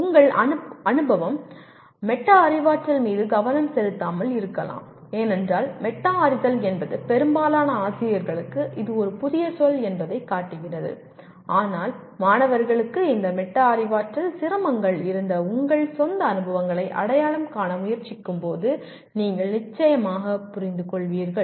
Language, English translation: Tamil, One your experience may not be focused on metacognition because metacognition our experience shows that it is a new word to majority of the teachers but the implication you will certainly understand when you start attempting to identify your own experiences where students had this metacognitive difficulties